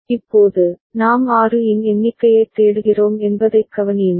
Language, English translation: Tamil, Now, consider that we are looking for a count of 6